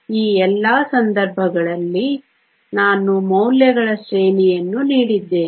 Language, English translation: Kannada, In all of these cases I have given a range of values